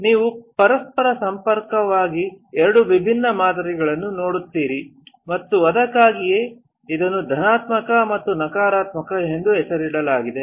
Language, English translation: Kannada, You see absolutely two different patterns of each other and that is why it is named positive and negative